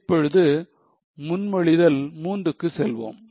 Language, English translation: Tamil, Let us go to Proposal 3 now